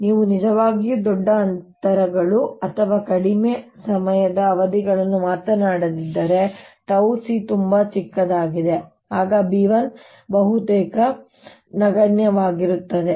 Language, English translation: Kannada, so unless you are really talking large distances or very short time period, so that c tau is very small, the, the, the b one is going to be almost negligible